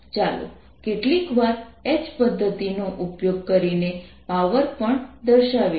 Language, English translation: Gujarati, this also shows the power of using h method sometimes